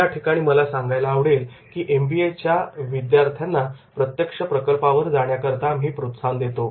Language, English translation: Marathi, I would also like to mention that what we do that we encourage our MBA students that is to go for the live projects